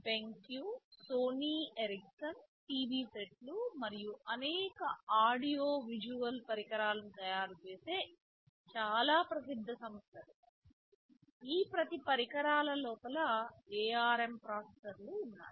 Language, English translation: Telugu, Benq, Sony Ericsson these are very well known companies they who manufacture TV sets and many audio visual other equipments, there are ARM processors inside each of these equipments